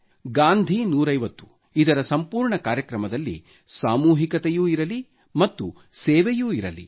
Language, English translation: Kannada, In all the programmes of Gandhi 150, let there be a sense of collectiveness, let there be a spirit of service